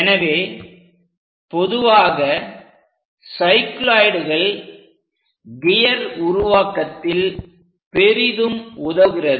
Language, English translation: Tamil, So, cycloids are quite common for gear construction